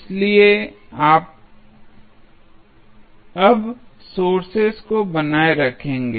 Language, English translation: Hindi, So, you will retain the sources now